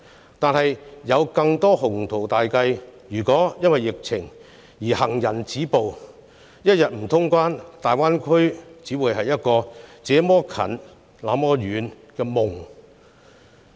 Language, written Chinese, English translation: Cantonese, 可是，即使有再多的鴻圖大計，如因疫情而行人止步——一天不通關，大灣區也只會是一個"這麼近，那麼遠"的夢。, However if we have to due to the COVID - 19 pandemic stop at where we are now despite the myriad ambitious plans we got the Greater Bay Area will only be a dream that is so close and yet so far away as long as restrictions are still imposed on cross - boundary travel